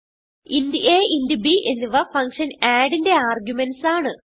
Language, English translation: Malayalam, int a and int b are the arguments of the function add